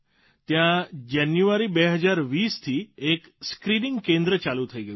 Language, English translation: Gujarati, It has a fully functional screening centre since Januray 2020